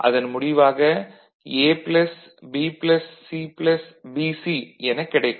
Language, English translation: Tamil, So, there A plus B plus C is there, and this is your BC